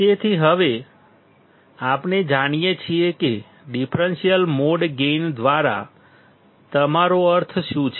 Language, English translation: Gujarati, So, now, we know what do you mean by differential mode gain